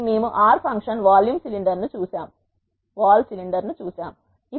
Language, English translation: Telugu, So, we have seen R function vol cylinder